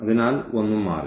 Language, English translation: Malayalam, So, nothing will change